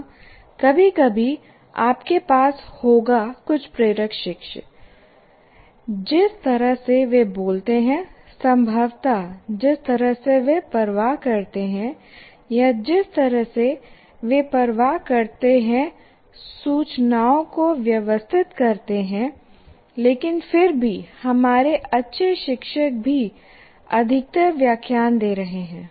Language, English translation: Hindi, Yes, occasionally you will have some inspiring teachers the way they speak, possibly the way they care or the way they organize information, but still even our good teachers are mostly lecturing